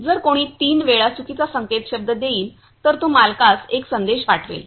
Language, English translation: Marathi, If someone will give type wrong password for three times, then also it will send a message to the owner